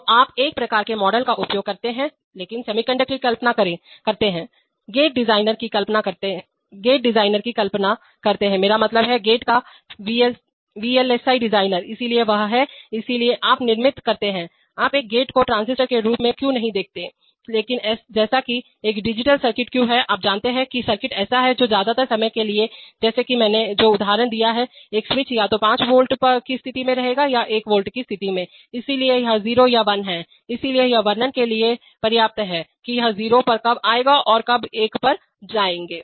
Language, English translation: Hindi, So you use one kind of models but imagine the semiconductor, imagine the gate designer, I mean, the VLSI designer of the gate, so he is, so why you construct, why you look at a gate not as transistors but as a, as a digital circuit because, you know, that the circuit is such that, for most of the time just like the switch example I gave, it will either stay in a 5 volt state or a 1 volt state so it's either 0 or 1, so it suffices to describe when it will go to 0 and when you go to one